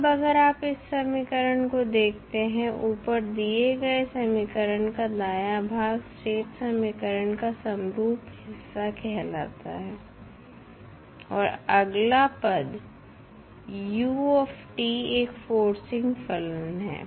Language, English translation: Hindi, Now, if you see this particular equation the right hand side of the above equation is known as homogeneous part of the state equation and next term is forcing function that is ut